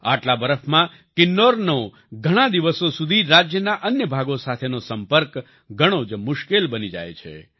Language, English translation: Gujarati, With this much snowfall, Kinnaur's connectivity with the rest of the state becomes very difficult for weeks